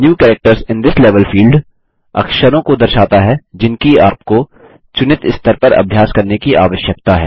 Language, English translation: Hindi, The New Characters in This Level field displays the characters that you need to practice at the selected level